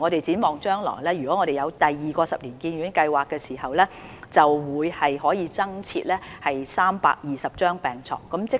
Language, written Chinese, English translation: Cantonese, 展望將來，當第二期發展計劃落實後，便可以增設320張病床。, In the future an additional 320 hospital beds can be provided after the implementation of the second - phase development